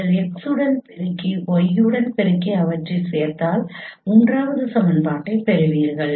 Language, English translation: Tamil, So you multiply with x and multiply with y and then if you add them you will get the third equation